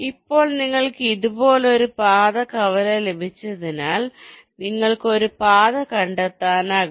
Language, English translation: Malayalam, now, as you got a path intersection like this, you can trace back a path like up to here